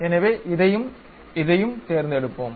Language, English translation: Tamil, So, let us pick this one and this one